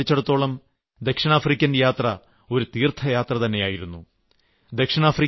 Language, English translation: Malayalam, But for me the visit to South Africa was more like a pilgrimage